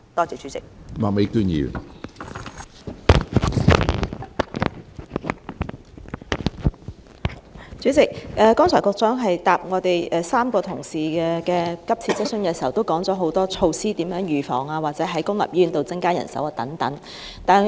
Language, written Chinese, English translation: Cantonese, 主席，局長剛才回答3位同事的急切質詢時提到多項措施，包括預防方面或在公立醫院增加人手等。, President the Secretary has mentioned a number of measures in her replies to the urgent questions asked by three Honourable colleagues including precautionary measures and the increase of manpower in public hospitals and so on